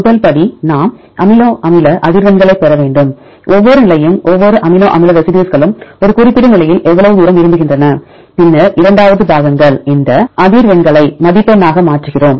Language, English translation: Tamil, First step we need to get the amino acid frequencies; each position how far each amino acid residue prefers at a particular position, and then the second parts we convert this frequencies into score